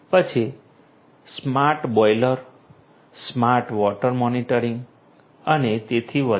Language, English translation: Gujarati, Then smart boilers, smart water monitoring and so on